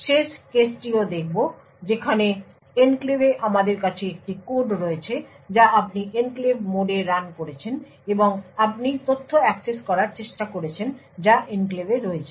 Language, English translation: Bengali, Will also look at the final case where we have a code present in the enclave that is you are running in the enclave mode and you are trying to access data which is also in the enclave